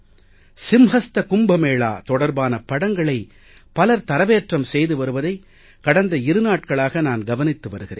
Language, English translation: Tamil, I have been noticing for the last two days that many people have uploaded pictures of the Simhastha Kumbh Mela